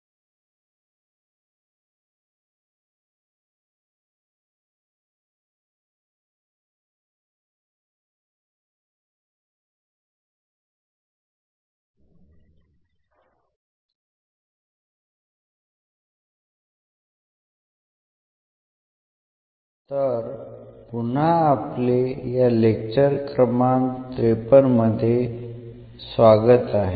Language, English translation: Marathi, So, welcome back and this is lecture number 53